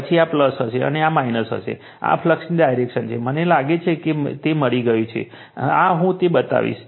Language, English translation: Gujarati, Then this will be plus, and this will be minus, this is the direction of the flux got it, I think you have got it right so, this I will make it